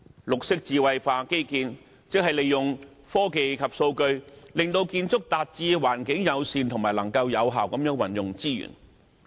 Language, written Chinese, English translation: Cantonese, 綠色智慧化基建，即利用科技及數據，令建築達致環境友善和能夠有效運用資源的目的。, The intellectualization of green infrastructure means that such buildings may achieve the purpose of environmentally - friendliness and effective use of resources with the use of technology and data